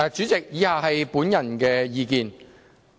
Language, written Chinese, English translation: Cantonese, 主席，以下是我的個人意見。, President the following is my personal views